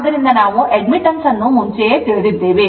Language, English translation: Kannada, So, because we know admittance earlier we have seen